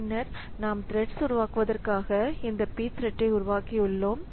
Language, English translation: Tamil, Then we have got this P thread create for creating the threads